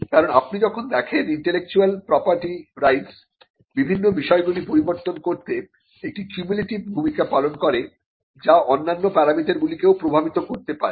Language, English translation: Bengali, Because when you see that intellectual property rights play a cumulative role in changing various things which can affect other parameters as well